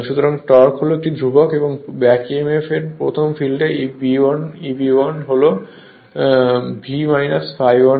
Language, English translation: Bengali, So, torque is a constant and back Emf in the first case E b 1 will be V minus I a 1 r a